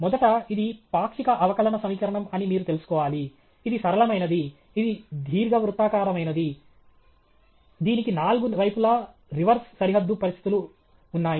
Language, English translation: Telugu, First, you should know that it is a partial differential equation, it is linear, it is elliptic, it reverse boundary conditions on four sides